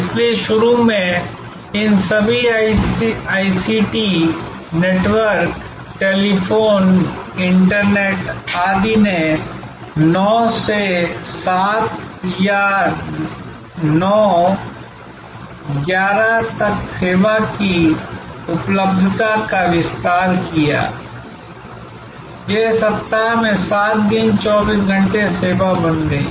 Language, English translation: Hindi, So, initially all these ICT networks, telephone, internet, etc expanded the availability of service from 9 to 7 or 9, 11; it became 24 hour service, 7 days a week